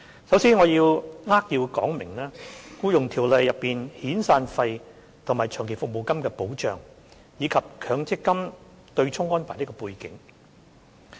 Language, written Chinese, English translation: Cantonese, 首先，讓我扼要說明《僱傭條例》中遣散費和長期服務金的保障，以及強制性公積金對沖安排的背景。, First of all let me give a succinct account of the protection in the form of severance and long service payments under the Employment Ordinance EO as well as the background of the offsetting arrangement under the Mandatory Provident Fund MPF System